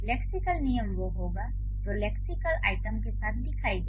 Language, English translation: Hindi, So, the lexical rules would be which lexical item should appear with what